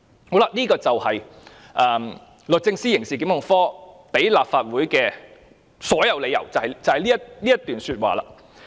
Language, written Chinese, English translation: Cantonese, "上述便是律政司刑事檢控科向立法會提出的所有理由，便是這一段說話。, What I have just read out are all the reasons put forward to the Legislative Council by the Prosecutions Division of DoJ . The reasons are all stated in this paragraph